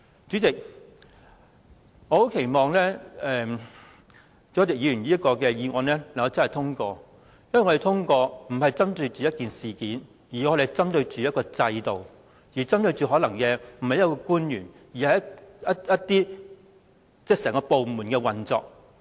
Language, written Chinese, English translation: Cantonese, 主席，我很期望朱凱廸議員這項議案獲得通過，因為我們不是針對某一事件，而是針對制度；不是針對某位官員，而是着眼整個部門的運作。, President I very much hope that this motion proposed by Mr CHU Hoi - dick can be passed because we are pinpointing the system rather than a single incident and the operation of an entire department rather than an official